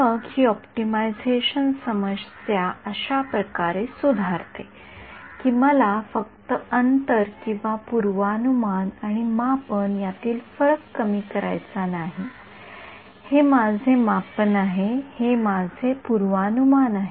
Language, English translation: Marathi, Then this optimization problem gets modified like this that not only do I want to minimize the distance or the difference between prediction and measurement right, this is my measurement and this is my prediction